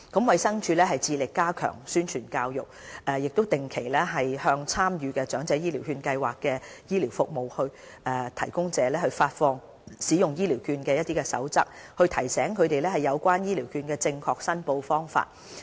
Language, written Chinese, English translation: Cantonese, 衞生署一直致力加強宣傳教育，亦定期向參與長者醫療券計劃的醫療服務提供者發放使用醫療券的守則，提醒他們有關醫療券的正確申報方法。, It issues a set of Proper Practices under the EHCV Scheme to participating health care service providers on a regular basis to remind them of the proper practices in making voucher claims